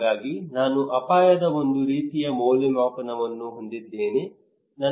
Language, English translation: Kannada, So I have a kind of appraisal of risk